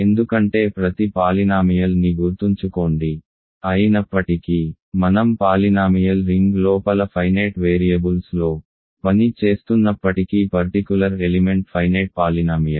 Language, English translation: Telugu, That is because remember each polynomial, though we are working in the working inside the polynomial ring in infinitely many variables a specific element is a finite polynomial